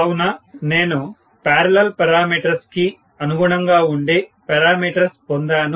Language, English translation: Telugu, So, I have got the parameters which are corresponding to the parallel parameters